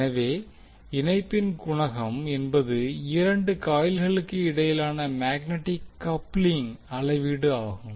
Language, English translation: Tamil, So coefficient of coupling is the measure of magnetic coupling between two coils